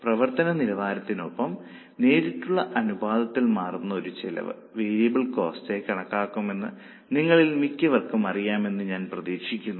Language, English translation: Malayalam, I hope most of you know that a cost which changes in the direct proportion with the level of activity is considered as a variable cost